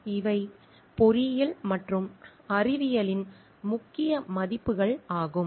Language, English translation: Tamil, These are the key values in engineering and science